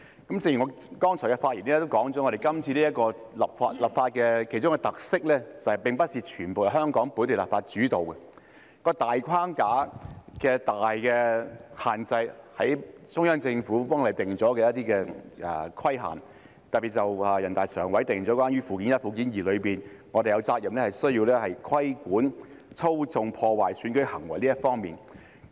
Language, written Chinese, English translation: Cantonese, 正如我剛才的發言指出，今次立法的其中一個特色是，並非全部由香港本地立法主導，當中的大框架、最大的限制是中央政府為香港定下的一些規限，特別是全國人大常委會在《基本法》附件一及附件二中訂明，我們有責任規管操縱、破壞選舉的行為這方面。, As I have pointed out in my previous remarks one of the features of this legislative exercise is that it is not completely led by Hong Kongs local legislation . The main framework and the major limitation are the requirements laid down by the Central Government for Hong Kong . In particular the Standing Committee of the National Peoples Congress has stipulated in Annexes I and II to the Basic Law that we have the responsibility to regulate acts that manipulate or undermine elections